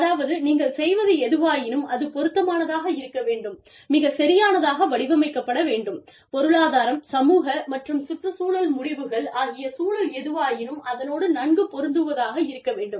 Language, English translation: Tamil, Whatever you are doing, needs to be appropriate, needs to be tailored to, needs to fit into the context of, the economic, social, and ecological, outcomes of whatever it is, that you do